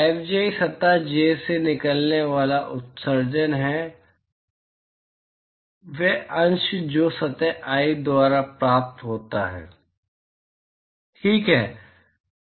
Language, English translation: Hindi, Fji is emission coming out of surface j and that fraction which is received by surface i, fine